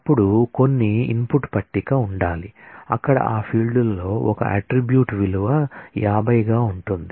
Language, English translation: Telugu, Then there must be some input table where there is a record where in that field as an attribute value 50